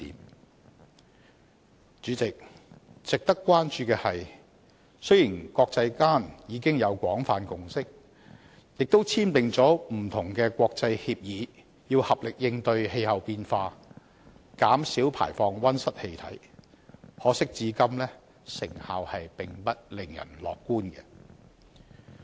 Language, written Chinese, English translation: Cantonese, 代理主席，值得關注的是，雖然國際間早已有廣泛共識，亦簽訂不同的國際協議，合力應對氣候變化，減少排放溫室氣體，可惜至今成效並不令人樂觀。, Deputy President what is worthy of concern is that despite the wide consensus long reached in the international community and the conclusion of various international agreements pledging to make concerted efforts to combat climate change and reduce greenhouse gas emissions it is regrettable that the results have been far from optimistic